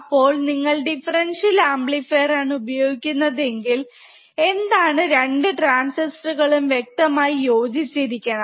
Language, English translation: Malayalam, So, if you are using differential amplifier, the 2 transistors in the differential amplifier should be matching